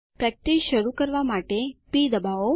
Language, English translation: Gujarati, Press p to start practicing